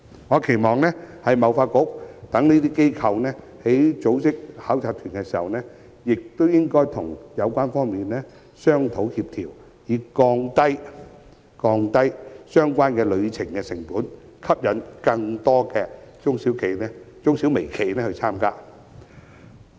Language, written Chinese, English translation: Cantonese, 我期望貿發局等機構在組織考察團時，會與有關方面商討協調，以降低相關旅程的成本，吸引更多中小微企參與。, I envisage that agencies such as HKTDC will discuss and coordinate with the relevant parties when organizing inspection visits to attract more MSMEs to participate by lowering the costs of such visits